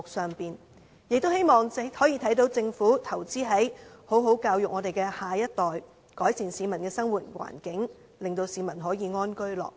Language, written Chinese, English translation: Cantonese, 市民亦希望政府投資在教育上，好好教育我們的下一代，改善市民的生活環境，令市民可安居樂業。, The people are also eager to see the Government spending on education to invest in our next generations so as to improve the peoples living conditions allowing them to lead a happy and stable life